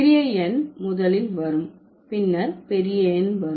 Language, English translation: Tamil, Okay, the smaller number would come first, then comes the larger number